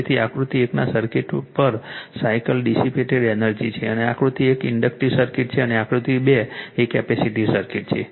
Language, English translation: Gujarati, So, it is your energy dissipated per cycle in the circuit of figure 1 and figure 2 figure 1 is inductive circuit and figure 2 is a capacitive circuit right